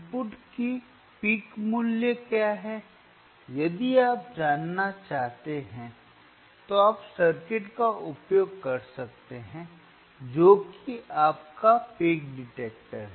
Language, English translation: Hindi, So, what is the peak value of the input if you i, if you want to know, you can use the circuit which is your peak detector alright;